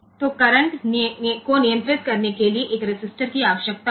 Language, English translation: Hindi, So, a resistor will be needed to control the current